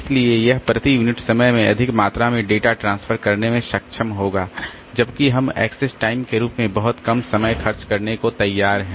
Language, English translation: Hindi, So, we will be able to transfer more amount of data per unit time while we are willing to spend very little amount of time as access time